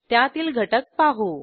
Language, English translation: Marathi, Let us view its content